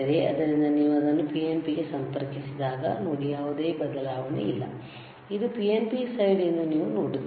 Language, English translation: Kannada, So, when you connect it to PNP, see, no change, you see this is PNP side